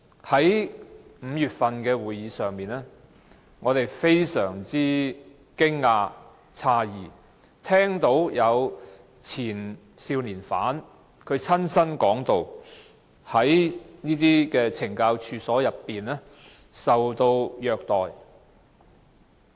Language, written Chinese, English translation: Cantonese, 在5月份的會議上，我們非常驚訝、詫異，聽到前少年犯親身說在懲教所內受到虐待。, At the meeting we were very surprised and really shocked to hear from former young offenders themselves that they had been abused in the correctional institutions